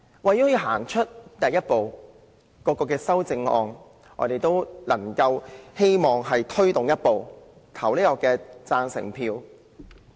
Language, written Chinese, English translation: Cantonese, 為了向前走出第一步，我們希望大家對各項修正案投贊成票。, To take the first step forward we hope that Members will vote in favour of the various amendments